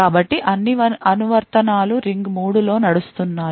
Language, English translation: Telugu, So, all the applications are running in ring 3